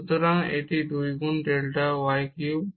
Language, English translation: Bengali, So, and this is 2 times delta y cube